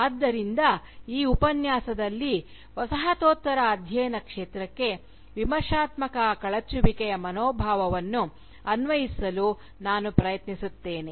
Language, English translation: Kannada, So, in this lecture, I will try to apply the spirit of critical dismantling that informs postcolonial studies to the field of postcolonial studies itself